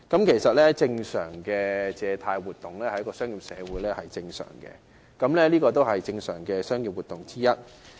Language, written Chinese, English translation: Cantonese, 其實，正常的借貸活動，在商業社會是正常的商業活動之一。, In fact normal lending activity is one of the normal commercial activities in a commercial society